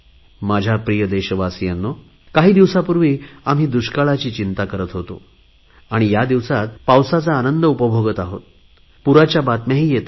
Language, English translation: Marathi, My dear countrymen, while some time ago, we were concerned about a drought like situation, these days, on the one hand, we are enjoying the rains, but on the other, reports of floods are also coming in